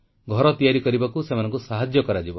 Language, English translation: Odia, They will be assisted in construction of a house